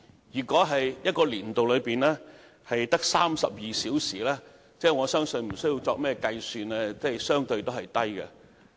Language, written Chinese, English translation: Cantonese, 如果在一個年度內的播出時數只得32小時，則不用計算也知道數字相對偏低。, When only 32 hours were devoted to the broadcasting of sports - related programmes one can definitely tell without having to do any calculation that the quantity is relatively low